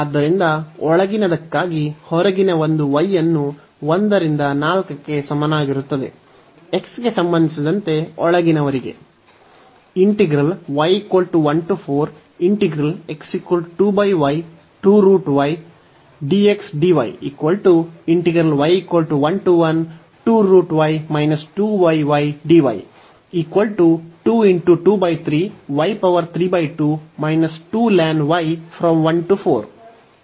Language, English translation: Kannada, So, for the inner one so, we fix the outer one y is equal to 1 to 4, for inner one with respect to x first